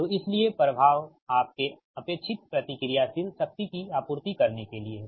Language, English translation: Hindi, so the is to supply the your requisite reactive power